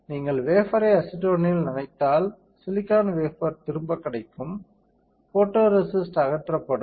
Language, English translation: Tamil, If you dip the wafer in acetone, you will get silicon wafer back, photoresist will be stripped off